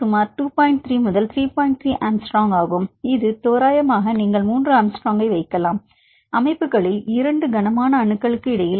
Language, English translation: Tamil, 3 angstrom that approximately you can put 3 angstrom; between the two heavy atoms